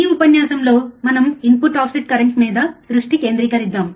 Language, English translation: Telugu, This lecture let us concentrate on input offset current